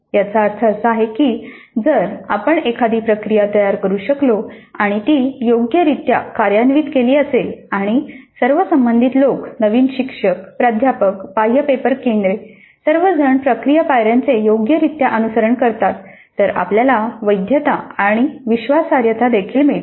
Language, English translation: Marathi, That essentially means that if we can set up a process, have it implemented properly and how all the relevant people, the new teachers, the faculty, the external paper setters, all of them follow the process steps properly, then we get validity as well as reliability